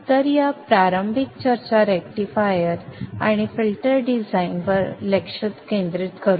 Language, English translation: Marathi, So the initial discussion this week will focus on the rectifier and filter design